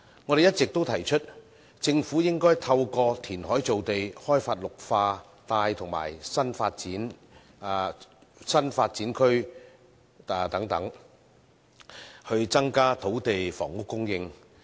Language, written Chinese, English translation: Cantonese, 我們一直提出，政府應該透過填海造地、開發綠化帶及新發展區等，增加土地房屋供應。, We have all along proposed that the Government should increase land and housing supply through land reclamation the development of green belt areas and new development areas and so on